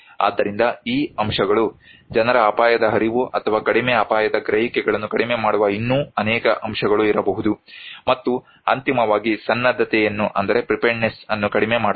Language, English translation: Kannada, So these factors, there could be many other factors that actually reduce people's risk awareness or low risk perception, and eventually, reduce the preparedness